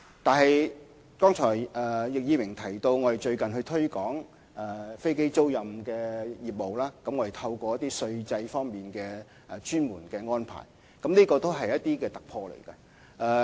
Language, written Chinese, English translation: Cantonese, 不過，正如易議員剛才提到，當局最近在推廣飛機租賃業務上，確實在稅制上作出特別安排，這是一個突破。, Yet as Mr YICK said just now the authorities have made certain special arrangements in taxation for the aircraft leasing industry recently and this is a breakthrough